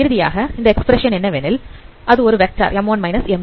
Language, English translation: Tamil, So finally this expression is nothing but it's a vector